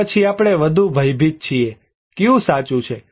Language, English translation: Gujarati, Or, are we are more afraid, which one true